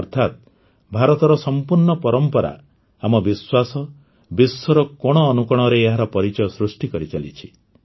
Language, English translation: Odia, That is, the rich heritage of India, our faith, is reinforcing its identity in every corner of the world